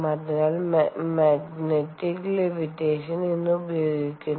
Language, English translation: Malayalam, so magnetic levitation is nowadays used